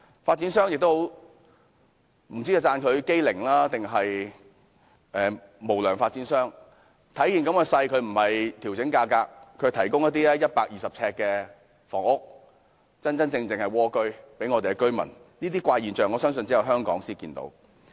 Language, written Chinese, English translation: Cantonese, 不知道應稱讚發展商機靈，還是說他們是"無良發展商"，他們看到目前形勢，並沒有調整價格，反而是推出一些面積120呎的房屋，名副其實的"蝸居"，我相信這些怪現象只有香港才可見到。, I wonder if I should praise developers for being quick - witted and shrewd or I should say they are unscrupulous . In the face of the present situation they have not adjusted the prices but instead built some flats with a mere area of 120 sq ft the truly humble abode . Such strange phenomenon I think can only be seen in Hong Kong